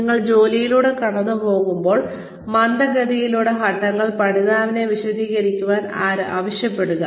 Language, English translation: Malayalam, Have the learner explain the steps, as you go through the job, at a slower pace